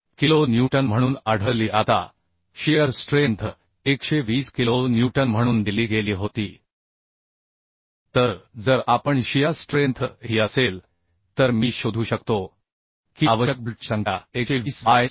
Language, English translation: Marathi, 06 kilo Newton Now the shear force was given as 120 kilo Newton so if the shear force Is this then I can find out number of bolts required will be 120 by 66